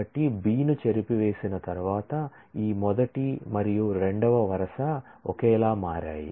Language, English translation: Telugu, So, after erasing B this first and the second row have become identical